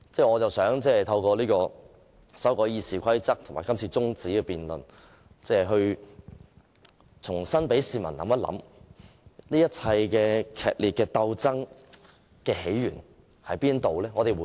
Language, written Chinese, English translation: Cantonese, 我想透過修訂《議事規則》和這項中止待續議案，讓市民重新思考劇烈鬥爭源自甚麼？, Through the amendments to RoP and this adjournment motion I want the public to rethink the source of this fierce struggle